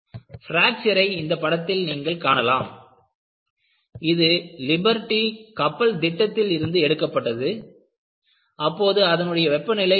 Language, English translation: Tamil, You see the fracture here and this figure is from Project Liberty ship and what you had was, the water temperature was about 4